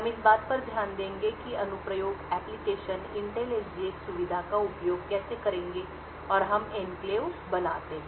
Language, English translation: Hindi, We will look at how applications would use the Intel SGX feature and we create enclaves